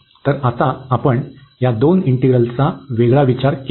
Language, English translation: Marathi, Now, we will look at the second integral